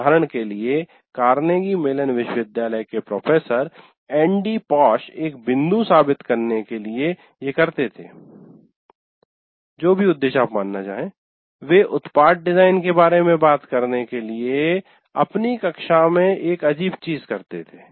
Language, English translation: Hindi, For example, a famous one, one Professor Andy Posh of Carnegie Mellon University, he used to prove a point to whatever purpose you consider, he used to do a strange thing in his class to talk about product design